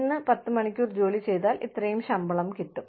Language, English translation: Malayalam, Today, you put in ten hours of work, you get, this much salary